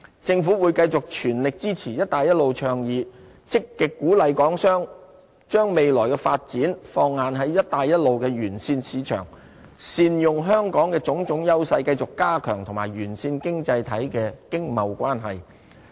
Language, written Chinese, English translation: Cantonese, 政府會繼續全力支持"一帶一路"倡議，積極鼓勵港商把未來發展放眼在"一帶一路"的沿線市場，善用香港的種種優勢，繼續加強與沿線經濟體的經貿關係。, The Government will comprehensively support the One Belt One Road initiative and actively encourage Hong Kong enterprises to focus future development on One Belt One Road markets leveraging on Hong Kongs edge to sustain stronger trade relations with Belt and Road economies